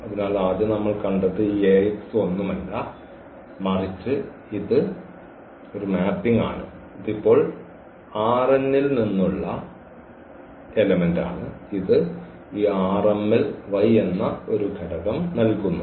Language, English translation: Malayalam, So, first what we have seen that this Ax is nothing but it is a mapping now the element this x which was from R n and it is giving us an element in this y in this R m